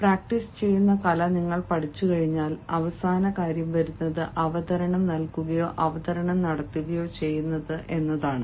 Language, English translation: Malayalam, and then, once you have learned the art of practicing, then the final thing comes, that is, giving the presentation, or making the presentation